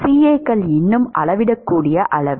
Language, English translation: Tamil, Is CAs a measurable quantity